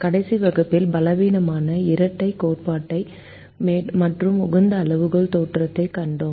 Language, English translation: Tamil, in the last class we saw the weak duality theorem and the optimality criterion theorem